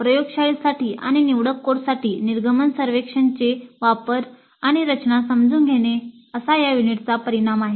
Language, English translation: Marathi, So the outcome for this unit is understand the design and use of exit surveys for laboratory and elective courses